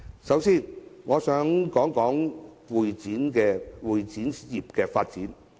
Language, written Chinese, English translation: Cantonese, 首先，我想談談會展業的發展。, First I would like to talk about the development of the CE industry